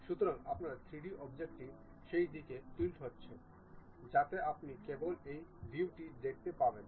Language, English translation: Bengali, So, your 3D object tilts in that direction, so that you will see only this view